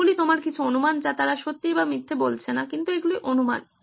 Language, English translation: Bengali, These are some of your assumptions not saying they are true or false but they are assumptions